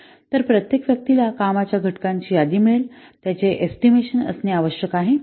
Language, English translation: Marathi, So, each person will provide a list of the work components they have to be estimate